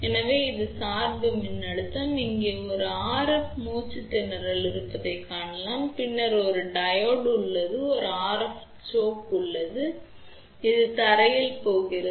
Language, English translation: Tamil, So, that is a bias voltage we can see over here there is a RF choke, then there is a Diode and then this is a RF choke which is going to ground